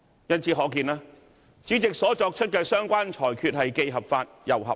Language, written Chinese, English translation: Cantonese, 由此可見，主席作出的相關裁決既合法亦合理。, It can thus be seen that the rulings made by the President are both legitimate and reasonable